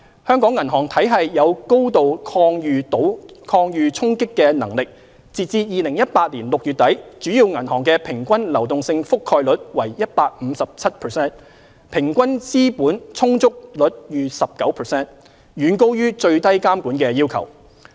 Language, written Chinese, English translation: Cantonese, 香港銀行體系有高度抗禦衝擊的能力，截至2018年6月底，主要銀行的平均流動性覆蓋率為 157%， 平均資本充足率逾 19%， 遠高於最低監管要求。, The banking system in Hong Kong is highly resilient . At the end of June 2018 major banks average liquidity coverage ratio stood at 157 % and their average capital adequacy ratio was over 19 % well above the minimum regulatory requirements